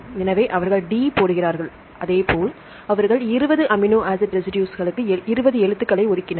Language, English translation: Tamil, So, they put D; likewise they assigned 20 letters for the 20 amino acid residues